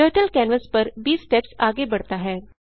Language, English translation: Hindi, Turtle moves 20 steps forward on the canvas